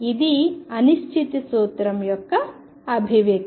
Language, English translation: Telugu, This is the manifestation of the uncertainty principle